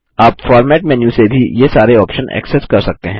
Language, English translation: Hindi, You can also access all these options from the Format menu